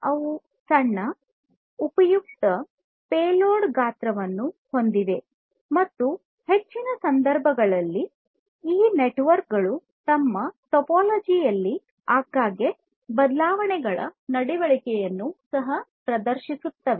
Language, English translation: Kannada, And they have tiny useful payload size and in most cases these networks also exhibit the behavior of frequent changes in their topology